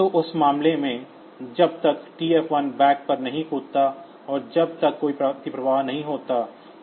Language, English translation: Hindi, So, in that case; so, if there is a jump on not bit TF 1 backs as long as there is no overflow